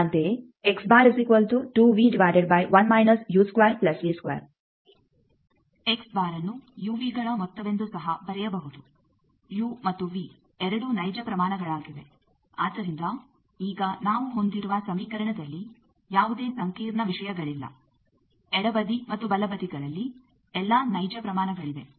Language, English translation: Kannada, Similarly, X bar also can be written as that sum u v things u and v both are real quantities, so now we are having an equation that there are no complex thing in this equation all the left hand side and right hand side they are real quantities